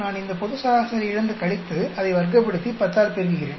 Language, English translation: Tamil, I subtract form this global, square it up, and multiply by 10